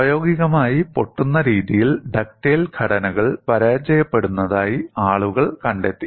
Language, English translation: Malayalam, People found ductile structures failing in a brittle fashion in practice